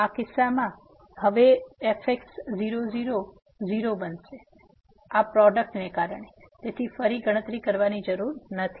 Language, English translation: Gujarati, So, in this case: and now at 0 0, so this will become 0 because of this product there, so no need to compute again